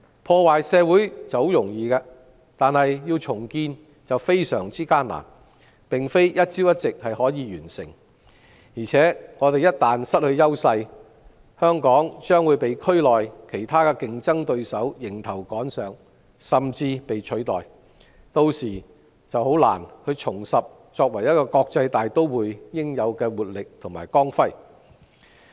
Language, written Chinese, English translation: Cantonese, 破壞社會相當容易，但要重建便非常艱難，並非一朝一夕可以完成，而且香港一旦失去優勢，將會被區內其他競爭對手迎頭趕上，甚至被取代，屆時便難以重拾作為一個國際大都會應有的活力和光輝。, Destructing our society is easy but rebuilding very difficult and cannot be completed overnight . Once Hong Kong loses its advantages other competitors in the region will catch up and even take our place . It will then be difficult for Hong Kong to regain the vitality and glamour of an international metropolis